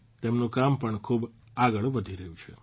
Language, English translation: Gujarati, His work is also progressing a lot